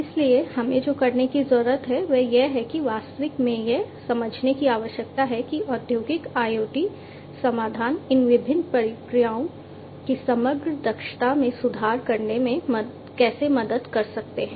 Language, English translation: Hindi, So, what needs to be done is we need to really understand that how industrial IoT solutions can help in improving the overall efficiency of these different processes